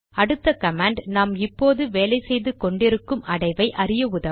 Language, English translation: Tamil, The next command helps us to see the directory we are currently working in